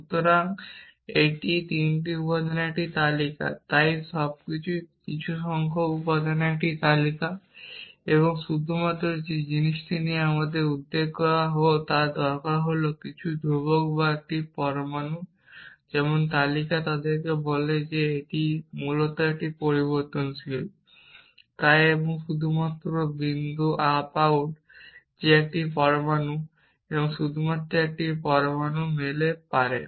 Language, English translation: Bengali, So, it is a list of 3 elements so everything is a list of some number of elements and the only thing we need worry about is let either something is a constant or an atom as the list people say or it is a variable essentially So, and the only the point up out that is an atom can only match an atom